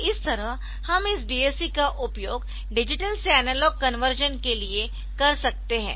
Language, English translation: Hindi, So, this way we can use this DAC for this digital to analog conversion ok